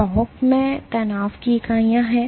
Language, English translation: Hindi, So, tau has units of stress